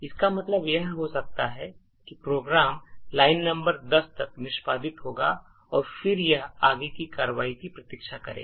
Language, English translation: Hindi, So this could mean that the program will execute until line number 10 and then it will wait for further action